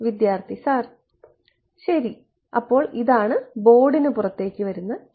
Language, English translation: Malayalam, Ok; so, this is E which is coming out of the board